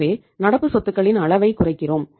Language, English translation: Tamil, So we reduced the level of current assets